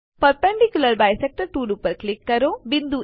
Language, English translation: Gujarati, Click on the Perpendicular bisector tool